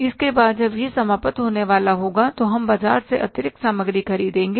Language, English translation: Hindi, After that when it is about to come to an end we will purchase the additional material from the market